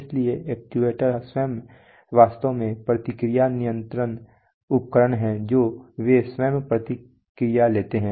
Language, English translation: Hindi, Therefore, actuator themselves actually are feedback control devices they themselves take feedback